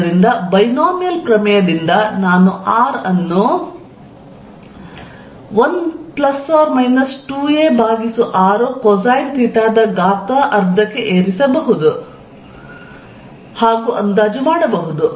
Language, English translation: Kannada, So, by Binomial theorem I can approximate this as r 1 plus or minus 2 a by r cosine theta raise to 1 half which is